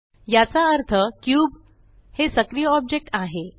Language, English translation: Marathi, This means that the active object is the cube